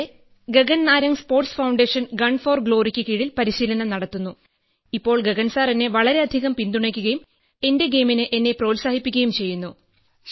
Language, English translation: Malayalam, So there's Gagan Narang Sports Foundation, Gun for Glory… I am training under it now… Gagan sir has supported me a lot and encouraged me for my game